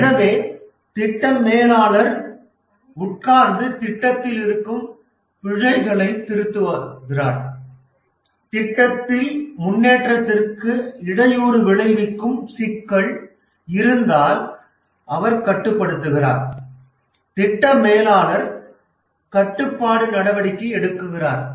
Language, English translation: Tamil, So the project's manager sits down, revises the plan, controls if there is a problem in the project which is hampering the progress, the project manager takes controlling action